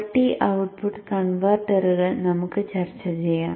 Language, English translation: Malayalam, So let us discuss multi output converters